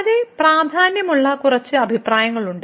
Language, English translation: Malayalam, There are few remarks which are of great importance